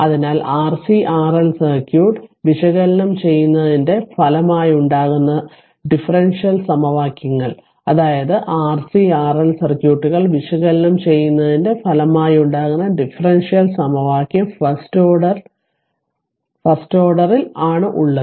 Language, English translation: Malayalam, So, the differential equations resulting from analyzing R C and R L circuit, that is your the differential equation resulting analyzing that R C and R L circuits are of the first order right hence it is underlined the circuits are known as first order circuits